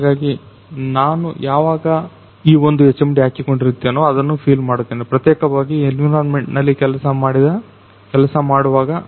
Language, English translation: Kannada, So, whenever I am wearing this particular HMD, so I am feeling that I am particularly working I am feeling that I am working inside that environment